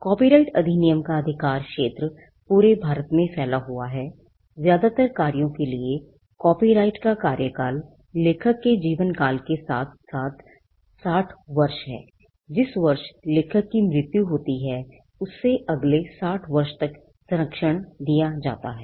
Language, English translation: Hindi, The jurisdiction of the copyright act it extends to the whole of India, the term of copyright foremost works is life of the author plus 60 years, the year in which the author dies there is another 60 years of protection